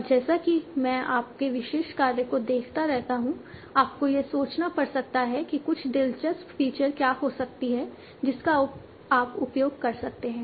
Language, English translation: Hindi, And as I keep on seeing, so for your particular task, you might have to think what might be some interesting features that you can use